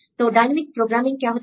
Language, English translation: Hindi, So, what is dynamic programming